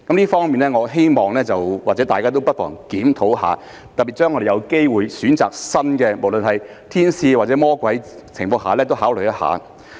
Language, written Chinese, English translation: Cantonese, 這方面希望大家都不妨檢討一下；特別是我們有機會選擇新的，無論是"天使"或"魔鬼"，在這情況下也應考慮一下。, In this regard we might as well conduct a review . Particularly when we have the opportunity to select a new one whether it is an angel or a devil we should consider doing so